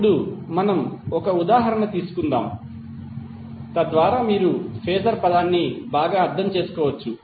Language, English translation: Telugu, Now, let us take one example so that you can better understand the term of Phasor